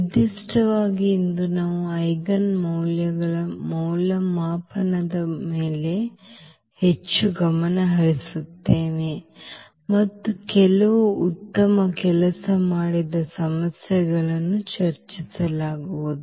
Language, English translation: Kannada, In particular today we will focus more on evaluation of the eigenvalues and some good worked out problems will be discussed